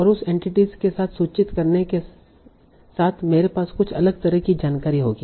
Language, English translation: Hindi, And with that entity I will have some different sort of information